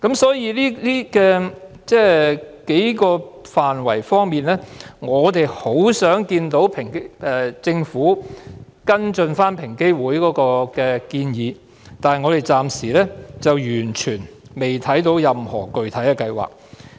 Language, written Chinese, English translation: Cantonese, 所以，我們希望政府會跟進平機會就上述數個範疇提出的建議，但我們暫時完全未看到政府有任何具體計劃。, Thus we hope that the Government will follow up on the recommendations made by EOC with regard to the above mentioned areas . However we fail to see for the time being that the Government has made any specific plans in this regard